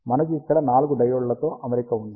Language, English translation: Telugu, Here we have four diode arrangement